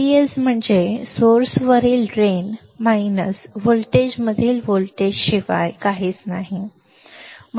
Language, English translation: Marathi, V D S is nothing but voltage at the drain minus voltage at the source